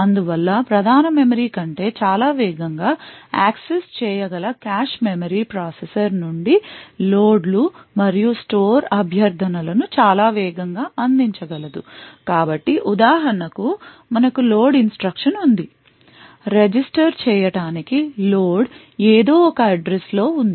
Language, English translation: Telugu, Therefore or the cache memory which can be accessed at a much faster rate than the main memory would be able to service loads and store requests from the processor at a much faster rate so for example we have a load instruction say load to register are from some address